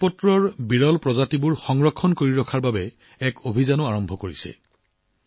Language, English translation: Assamese, The state government has also started a campaign to preserve the rare species of Bhojpatra